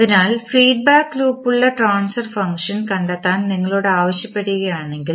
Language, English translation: Malayalam, So, now if you are asked to find out the transfer function which is a having feedback loop